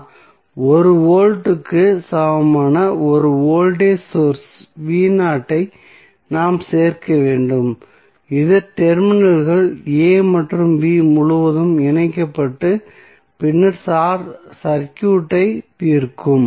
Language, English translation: Tamil, We need to add one voltage source v naught that is equal to 1 volt which would be connected across the terminals a and b and then solve the circuit